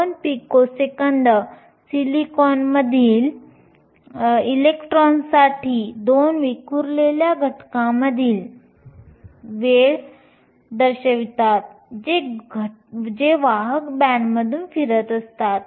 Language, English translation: Marathi, 2 picoseconds represents the time between two scattering events for an electron in silicon, that is moving through the conduction band